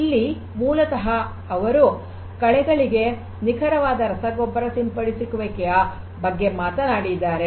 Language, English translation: Kannada, And here basically they are talking about precise fertilizer spray to the weeds